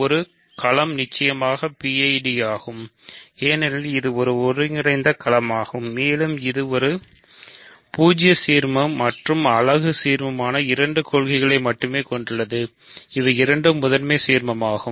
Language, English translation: Tamil, A field is definitely a PID because it is an integral domain and it has only two ideals the zero ideal and the unit ideal, both of which are principal